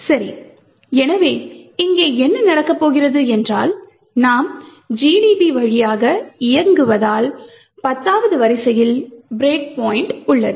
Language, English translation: Tamil, Ok, so what’s going to happen here is that since we are running through GDB and have a break point at line number 10